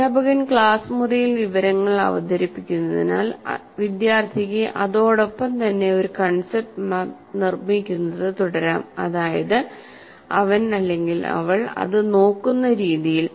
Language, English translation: Malayalam, As the teacher is presenting the information in the classroom, I can keep building a concept map on the side, my way of looking at it